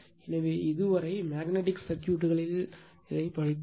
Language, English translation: Tamil, Now, we will start Magnetic Circuits right